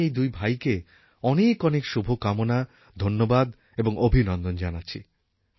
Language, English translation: Bengali, I would like to congratulate both these brothers and send my best wishes